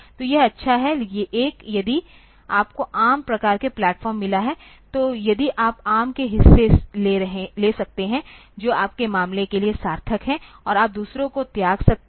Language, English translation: Hindi, So, this is good, one if you have got ARM type of platform, then if you can take the portions of ARM, which are meaningful for your case and you can discard the others